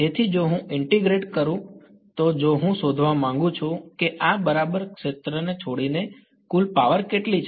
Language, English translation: Gujarati, So, if I integrate if I want to find out how much is the total power leaving this right